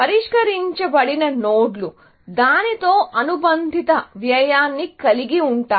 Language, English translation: Telugu, The solved nodes may not have any cost associated with it